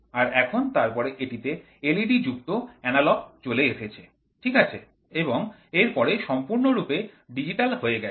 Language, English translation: Bengali, So, now, then later it became analogous with led, right and now it has become completely digital